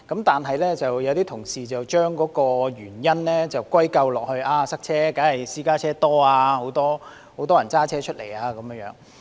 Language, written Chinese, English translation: Cantonese, 但是，有些同事將塞車的原因歸咎於私家車數目多、很多人駕車出行。, However some colleagues have attributed traffic congestion to the large number of private cars and the fact that many people travel by car